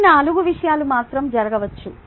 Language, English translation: Telugu, these are the only four things that can happen